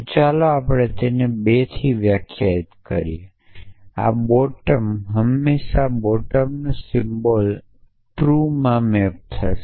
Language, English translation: Gujarati, So, I so let the say we defined it to 2 now, what and really saying is that this bottom always bottom symbol always maps to the truth fell you false